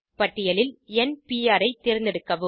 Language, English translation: Tamil, Select n Pr for from the list